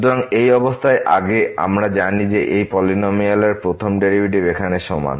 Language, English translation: Bengali, So, having this condition first we know that the first derivative of this polynomial here is equal to